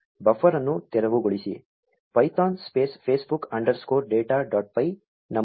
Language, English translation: Kannada, Clear buffer, python space facebook underscore data dot py, enter